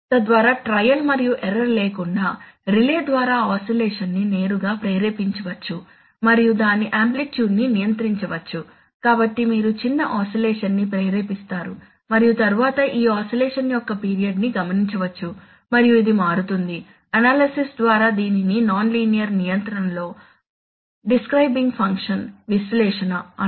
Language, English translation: Telugu, The so that the oscillation can be directly induced by the relay without trial and error and its amplitude can be controlled, so you can have induces small oscillation and it let the, and then note the period of this oscillation and it turns out, by analysis is called which is called the describing function analysis in nonlinear control